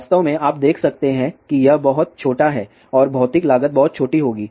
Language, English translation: Hindi, So in fact, you can see that it is very small and material cost will be very small